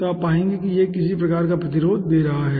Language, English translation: Hindi, so you will be finding out this is giving some sort of resistance